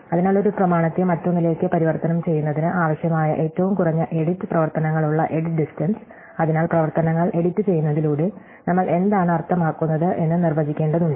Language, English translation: Malayalam, So, the edit distance with the minimum number of edit operations required to transform one document to another, so we have to define what we mean by editing operations